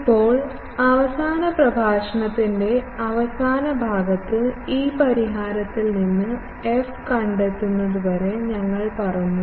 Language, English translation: Malayalam, Now, we said in the last concluding part of the last lecture that, till we need to find this f from the solution